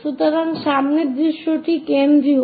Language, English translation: Bengali, So, front view is the central one